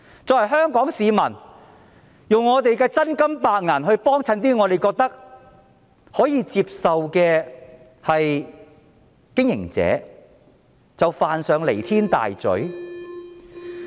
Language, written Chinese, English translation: Cantonese, 作為香港市民，我們花真金白銀光顧一些我們認為可接受的經營者，便是犯上彌天大罪嗎？, As Hong Kong people have we committed serious crimes by patronizing with our own money some operators that we considered acceptable?